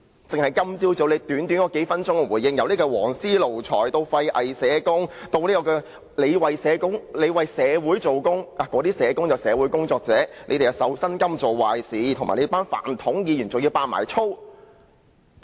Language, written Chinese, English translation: Cantonese, 在他今早短短數分鐘的回應中，他提及"黃絲奴才"、"廢偽社工"、"我也是在為社會做工"、自己是"社會工作者"、有人"實在是受薪金作壞事"、"泛統議員"，甚至說粗話。, In the response he made this morning which lasted a few minutes he has mentioned yellow ribbon lackeys useless and hypocritical social workers I am also working for the community I am a social worker some people really got paid for doing bad things PUF - democrats and even uttered rude words